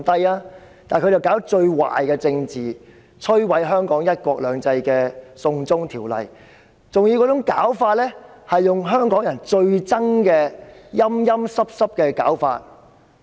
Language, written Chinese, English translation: Cantonese, 可是，她卻搞最壞的政治，提出摧毀香港"一國兩制"的"送中條例"，還要用香港人最討厭的"陰陰濕濕"手法。, Yet she has done the most evil thing in politics by introducing the China extradition bill which will destroy Hong Kong through a sneaky approach that Hongkongers hate most